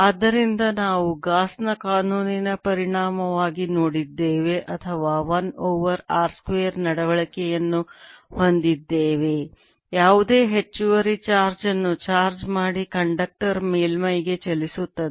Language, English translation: Kannada, so what we have seen as a consequence of gauss's lawor as a one over r square behavior, the charge, any extra charge on a conductor move to the surface